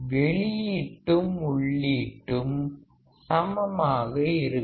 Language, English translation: Tamil, the output would be similar to the input